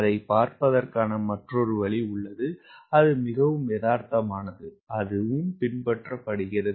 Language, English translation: Tamil, there is another way of looking into it that is more realistic and it is being followed also